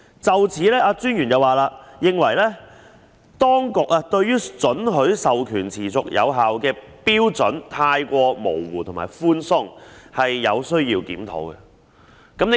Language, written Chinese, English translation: Cantonese, 就此，專員認為當局對於准許訂明授權持續有效的標準太過模糊和寬鬆，有需要檢討。, In this connection the Commissioner considered that the relevant authority has adopted an overly ambiguous and relaxed standard for the continuance of the prescribed authorization and thus a review is called for